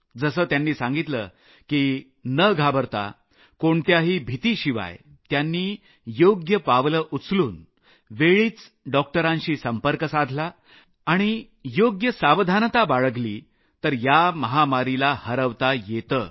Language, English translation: Marathi, As he mentioned, without panicking, following the right steps on time, contacting doctors on time without getting afraid and by taking proper precautions, we can defeat this pandemic